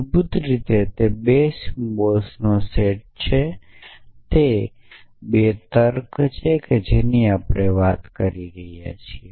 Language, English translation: Gujarati, Basically it is a set of 2 symbols it is a 2 valued logic that we have talking about